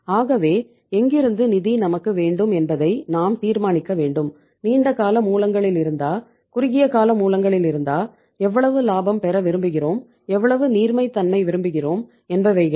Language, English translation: Tamil, So we have to decide from where we want to have the funds, long term sources, short term sources, how much profitability we want to have, how much liquidity we want to have